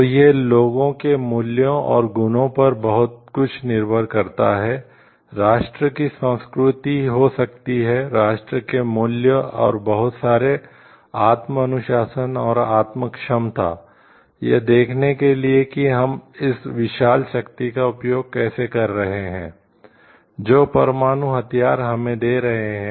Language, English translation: Hindi, So, it depends lot on the values and virtues of the people, there may be the culture of the nation, the values of the nation and lot of self discipline and self competence, to see like how we are using this immense power, that the nuclear weapons may be giving to us